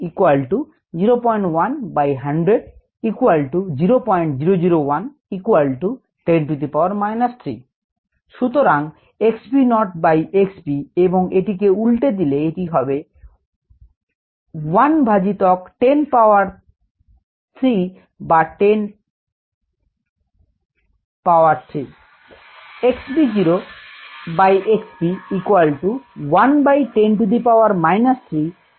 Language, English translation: Bengali, so x v naught by x v, if we flip it around, it will be one by ten power minus three, or ten power three